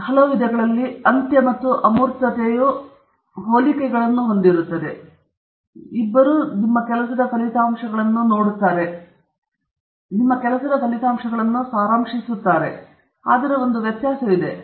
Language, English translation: Kannada, So, now, in some ways, the ending and the abstract have similarities; both of them show the results of your work, they summarize the results of your work, but there is one difference